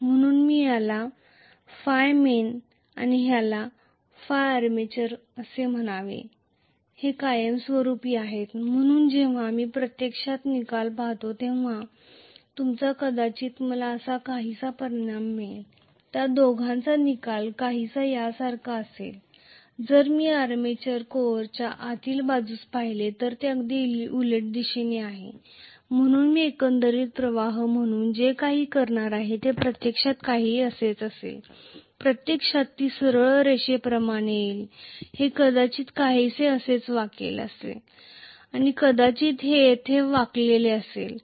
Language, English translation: Marathi, So, I will call this as phi main this is phi armature, so when I actually look at the resultant, I will probably get the resultant somewhat like this, the resultant of the two will look somewhat like this whereas if I look inside the armature core, this is in exactly in the opposite direction, so what I am going to have as the overall flux actually will be somewhat like this, it will actually come as a straight line, it will probably bend like this somewhat and here it might probably bend in the opposite direction Right